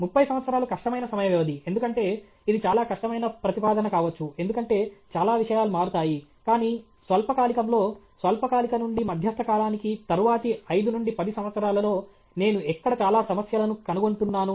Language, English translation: Telugu, 30 years may be a difficult time, because it may be a difficult proposition, because lot of things will change, but in the short term short to medium term, the next 5 to 10 years where is it that I am finding lot of gaps